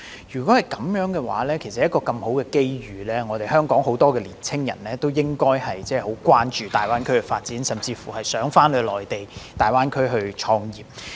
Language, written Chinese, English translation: Cantonese, 若是如此，其實面對一個這麼好的機遇，香港應該有很多年青人關注大灣區的發展，甚至希望前往內地大灣區創業。, If that is such a golden opportunity many young people in Hong Kong should be interested in the GBA development or even wish to start a business in GBA